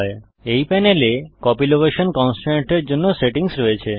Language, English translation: Bengali, This panel contains settings for the Copy location constraint